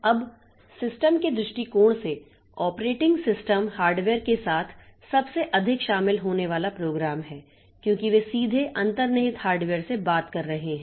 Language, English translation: Hindi, Now, from the system viewpoint, the operating system is the program most intimately involved with the hardware because they are directly talking to the underlying hardware